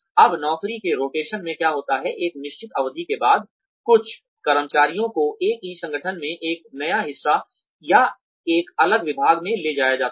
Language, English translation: Hindi, Now, what happens in job rotation is that, after a certain period of time, some employees are taken to a new part, or a different department, within the same organization